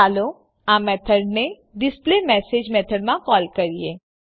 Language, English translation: Gujarati, Let us call this method in the displayMessage method